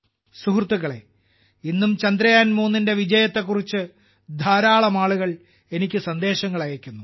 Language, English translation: Malayalam, Friends, even today many people are sending me messages pertaining to the success of Chandrayaan3